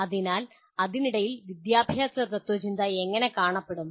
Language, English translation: Malayalam, So under that how is, under that how does the education philosophy look like